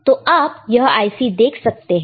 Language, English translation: Hindi, So, you see this is the IC